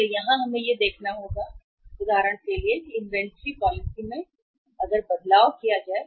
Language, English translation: Hindi, So here we will have to see that for example change in the inventory policy